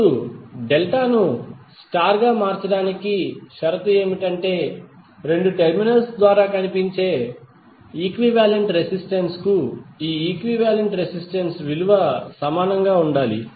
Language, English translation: Telugu, Now, the condition for conversion of delta into star is that for for the equivalent resistance seen through both of the terminals, the value of equivalent resistances should be same